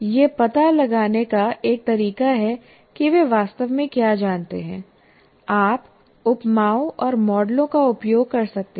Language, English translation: Hindi, One of the ways to find out what exactly they know, you can make use of similes and analogies and models